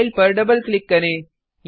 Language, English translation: Hindi, Double click on the file